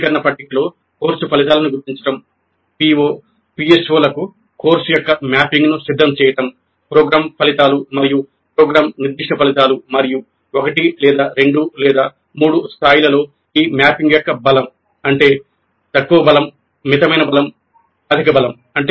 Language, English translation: Telugu, So, locating the course outcomes in the taxonomy table, preparing course to PO, PSOs, COs to program outcomes and program specific outcomes and the strength of this mapping at the levels of 1 or 2 or 3, low strength, moderate strength, high strength